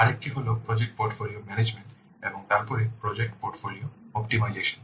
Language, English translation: Bengali, Another is project portfolio management and then project portfolio optimization